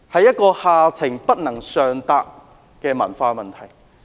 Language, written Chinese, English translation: Cantonese, 這是下情不能上達的文化問題。, This is caused by the culture that discourages upward communication